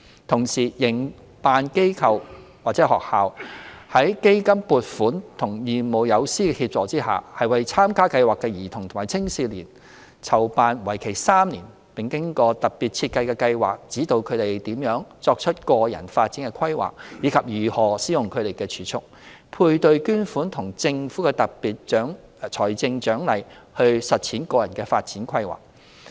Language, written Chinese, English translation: Cantonese, 同時，營辦機構/學校在基金撥款和義務友師協助下，為參加計劃的兒童和青少年籌辦為期3年並經過特別設計的計劃，指導他們如何作出個人發展規劃，以及如何使用他們的儲蓄、配對捐款和政府的特別財政獎勵來實踐個人發展規劃。, At the same time with CDF funding and volunteer mentors assistance project operatorsschools organize specially designed three - year projects for participating children and young people teaching them how to formulate PDPs and implement them using their own savings matching fund and Governments special financial incentive